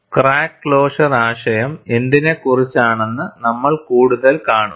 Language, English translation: Malayalam, And we will further see, what the crack closure concept is all about